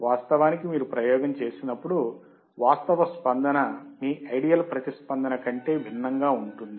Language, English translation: Telugu, But in reality, when you perform the experiment, the actual response would be different than your ideal response